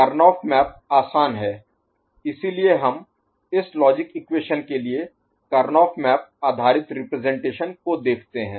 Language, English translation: Hindi, Karnaugh map is handy, so we look at the Karnaugh map based representation of this logic equation right